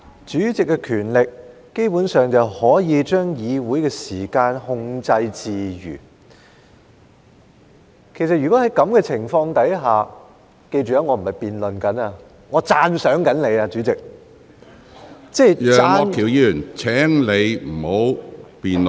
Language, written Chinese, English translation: Cantonese, 主席基本上有權力可以將議會的時間控制自如，其實如果在這種情況下——記着，我並非在辯論，我是在讚賞你，主席，即讚......, Basically the President has the power to freely control the Council meeting time . In fact under such circumstances―mind you I am not starting a debate about it . I am praising you President I mean praising